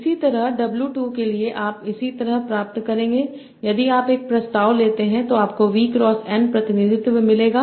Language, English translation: Hindi, Similarly for W 2, you will get similarly if you take a transpose, you will get a V cross n representation